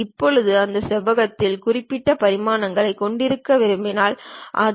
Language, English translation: Tamil, Now, I would like to have so and so specified dimensions of that rectangle